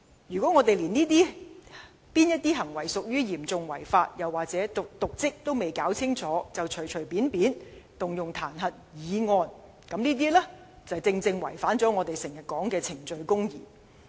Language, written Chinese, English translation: Cantonese, 如果連哪些行為屬於"嚴重違法"及"瀆職"還未弄清楚，便隨便提出彈劾議案，正正違反了我們經常掛在嘴邊的"程序公義"。, It will be against the principle of procedural justice which we always emphasize if the impeachment motion is hastily initiated even before we have a clear idea of what conducts constituted serious breach of law and dereliction of duty